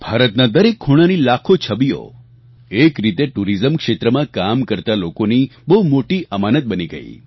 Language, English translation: Gujarati, Lakhs of photographs from every corner of India were received which actually became a treasure for those working in the tourism sector